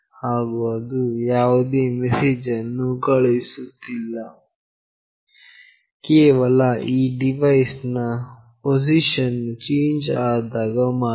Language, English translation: Kannada, And it will not send any message unless there is a change in the position of this device